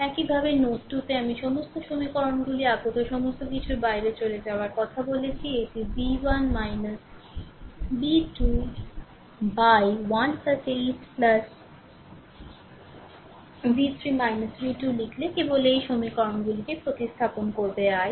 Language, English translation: Bengali, Similarly at node 2 I told you all the equations incoming outgoing everything so, it is also write down v 1 minus b 2 upon 1 plus 8 plus v 3 minus v 2 upon 2 just you substitute those in this equations i right